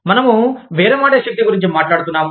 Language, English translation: Telugu, We were talking about, bargaining power